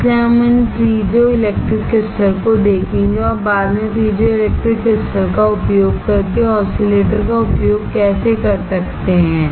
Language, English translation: Hindi, So, we will see these piezoelectric crystals and how we can use oscillator using piezoelectric crystals later on